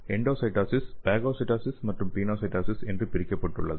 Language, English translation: Tamil, So this endocytosis is divided into phagocytosis and pinocytosis